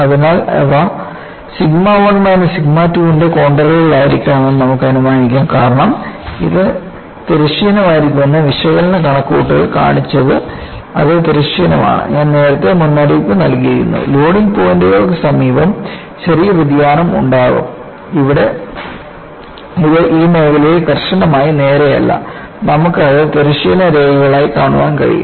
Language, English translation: Malayalam, So, you can infer that these should be contours of sigma 1 minus sigma 2 because that is what our analytical calculation showed that they have to behorizontal; they are horizontal and I had already warned near the points of loading, there would be small deviation; here it is not strictly straight in this zone; you are able to see that as horizontal lines